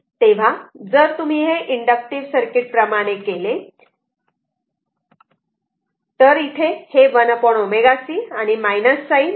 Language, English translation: Marathi, So, if you do, so same as like inductive circuit, here it is 1 upon omega c and minus sign is there